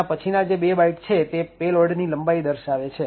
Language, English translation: Gujarati, Second, it had 2 bytes to specify the length of the payload